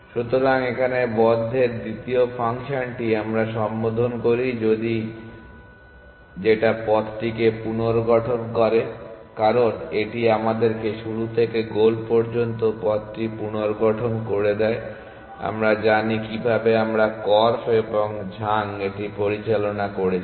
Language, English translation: Bengali, So, now let us address the second function of closed which is to reconstruct the path because it allows us to reconstruct the path from the start to the goal know how do we how to Korf and Zhang handle this